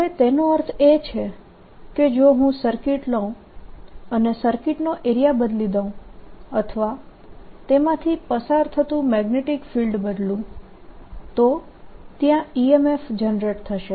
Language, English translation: Gujarati, now what is means is that if i take a circuit and let the area of the circuit change or the magnetic field through it change, then there'll be an e m f generated